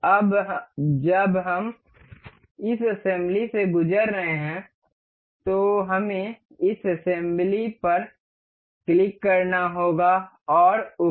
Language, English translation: Hindi, Now when we are going through this assembly we have to click on this assembly and ok